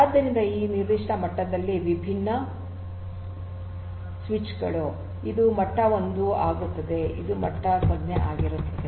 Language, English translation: Kannada, So, these are your different different switches at this particular level this becomes your level 1, this becomes your level 0 right